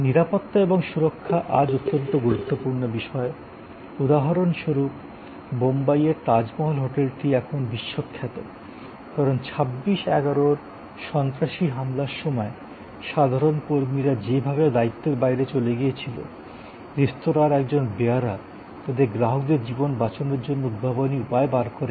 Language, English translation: Bengali, Safety and security these days very impotent for example, the Tajmahal hotel in Bombay is now world famous, because of at the time of the terrorist attack the so called 26/11 incidents the way ordinary employees went beyond their call of duty